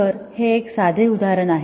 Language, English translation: Marathi, So, this is one simple example